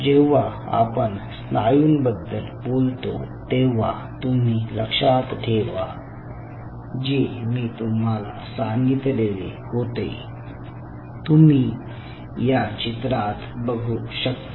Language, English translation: Marathi, so when you talk about muscle, if you remember, the first thing, what we told you is: this is the picture right out here